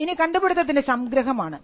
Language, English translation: Malayalam, you have the summary of the invention